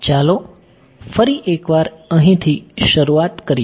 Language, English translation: Gujarati, Let us start from scratch over here once again